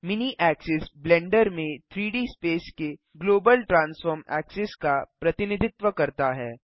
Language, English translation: Hindi, The mini axis represents the global transform axis of the 3D space in Blender